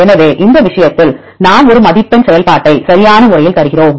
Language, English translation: Tamil, So, in this case we give a scoring function right for example